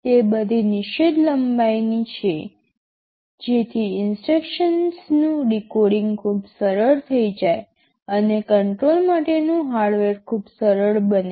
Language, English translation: Gujarati, They are all of fixed length so that decoding of the instruction becomes very easy, and your the hardware for the controller becomes very simple ok